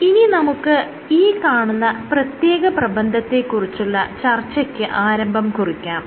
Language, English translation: Malayalam, Now we will initiate discussion about one particular paper